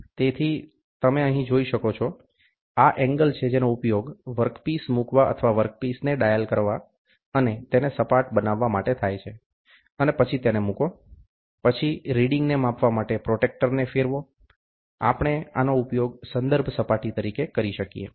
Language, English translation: Gujarati, So, you can see here, these are the angles, which are used to place the work piece or dial the work piece and make it flat, and then place it, then rotate the protractor to measure the reading, we can use this as a reference surface